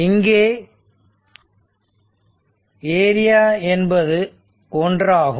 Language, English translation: Tamil, And this is unit this is also 1 right